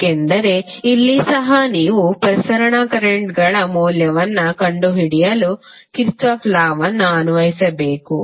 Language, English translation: Kannada, Because here also you have to apply the Kirchhoff's law to find out the value of circulating currents